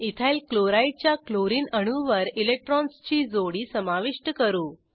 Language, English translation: Marathi, Lets add a pair of electrons on the Chlorine atom of EthylChloride